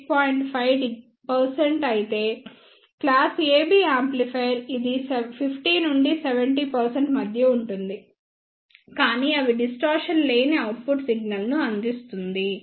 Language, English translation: Telugu, 5 percent however, class AB amplifier it could be of around between 50 to 70 percent, but they provides the distortion free output single